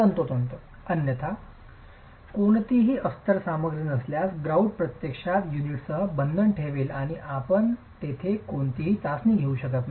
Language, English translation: Marathi, Otherwise if there is no lining material the grout will actually bond with the units and you can't do any test there